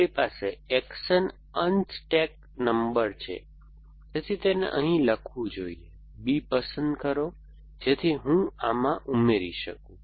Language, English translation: Gujarati, We have the action unstack no, so it be write here pick up B, so that I can add to this